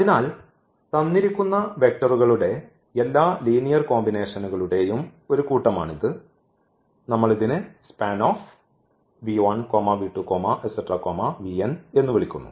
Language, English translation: Malayalam, So, this is a set of all linear combinations of the given vectors we call the span of v 1, v 2, v 3, v n